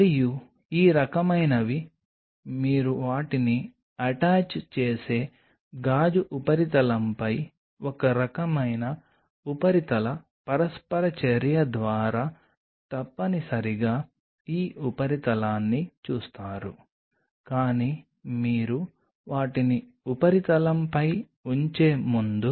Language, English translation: Telugu, And these ones kind of pops out what you see essentially this surface by some kind of a surface interaction on the glass surface they attach, but before you can put them on the substrate